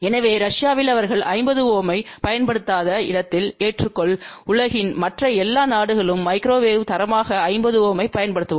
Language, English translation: Tamil, So, accept in Russia where they do not use 50 ohm, almost all the other countries in the world use 50 ohm as standard for microwave